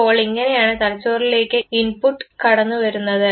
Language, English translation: Malayalam, So, this is how the input comes to the brain